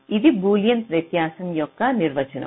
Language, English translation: Telugu, ok, this is the definition of boolean difference